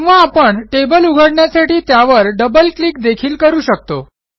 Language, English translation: Marathi, Alternately, we can also double click on the table name to open it